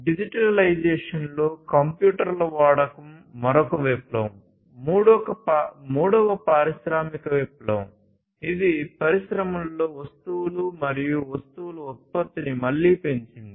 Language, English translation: Telugu, So, the use of computers digitization and so on was another revolution the third industrial revolution, which again increased the production of goods and commodities in the industry